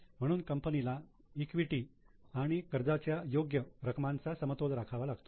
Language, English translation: Marathi, So, company has to seek a balance between fair amount of equity and debt